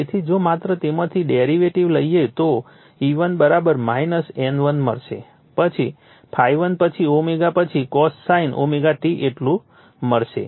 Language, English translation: Gujarati, So, if you just take the derivative of that then you will get E1 = minus N1, then ∅ m, then omega then your cosine omega t right that much that we will get